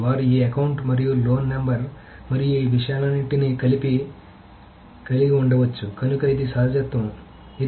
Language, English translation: Telugu, So they can have this account and loan number and all of these things together